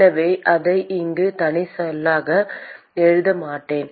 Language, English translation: Tamil, So, I will not write it as a separate term here